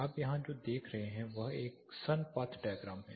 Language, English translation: Hindi, What you see here is a sun path diagram